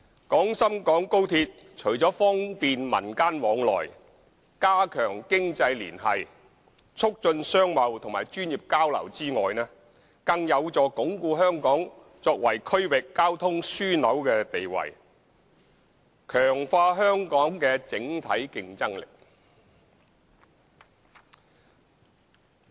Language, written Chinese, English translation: Cantonese, 廣深港高鐵除了方便民間往來、加強經濟聯繫、促進商貿和專業交流外，更有助鞏固香港作為區域交通樞紐的地位，強化香港的整體競爭力。, Apart from fostering societal exchanges strengthening economic ties and promoting business trade and professional exchanges XRL can also strengthen Hong Kongs status as a transport hub in the region and enhance the overall competitiveness of Hong Kong